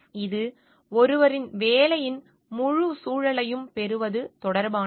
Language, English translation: Tamil, It relates to getting the full context of one's work